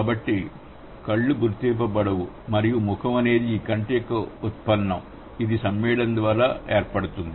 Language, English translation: Telugu, So, eyes are unmarked and face is the derivation of I by and which has been formed via compounding